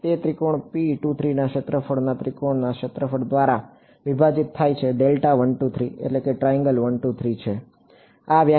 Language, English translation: Gujarati, It is the area of triangle P 2 3 divided by area of triangle 1 2 3 this is the definition ok